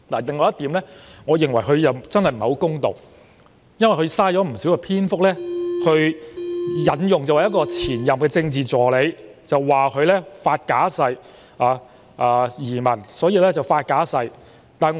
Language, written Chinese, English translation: Cantonese, 另外，我認為他真的不是太公道，因為他浪費了不少篇幅引述前任政治助理的例子，指她為了移民而發假誓。, Besides I think he is really unfair as he has taken great length in elaborating the example of the former Political Assistant alleging that she had made a false oath for the purpose of emigration